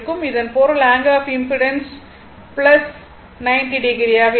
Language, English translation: Tamil, That is angle of impedance will be minus 90 degree